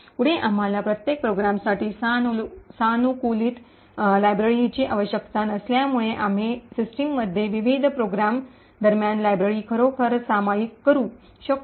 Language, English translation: Marathi, Further, since we do not require customized libraries for each program, we can actually share the libraries between various programs in the system